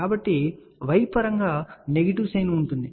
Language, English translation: Telugu, So, in terms of y will have a negative sign, ok